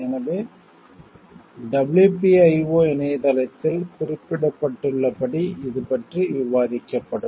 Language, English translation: Tamil, So, this we will be discussed in reference to the like WPIO website as it is mentioned over there